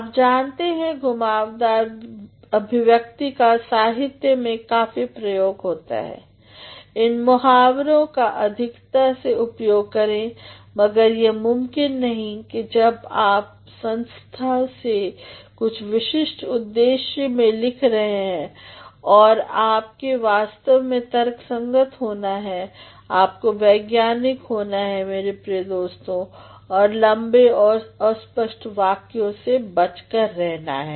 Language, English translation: Hindi, These roundabout expressions are you know in literature, of course, make an abundant use of roundabout expressions, but then this is not possible when you are writing something a specifically for the purposes of organization you actually have to be rational, you have to be scientific my dear friends, and also avoid lengthy and convoluted constructions